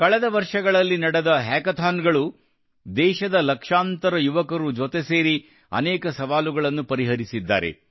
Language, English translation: Kannada, A hackathon held in recent years, with lakhs of youth of the country, together have solved many challenges; have given new solutions to the country